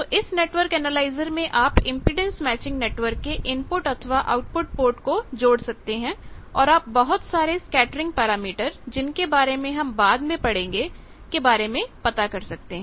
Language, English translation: Hindi, So, in network analyser you can connect the input port or output port of the impedance matching network and you can find various scattering parameters that also we will study later by that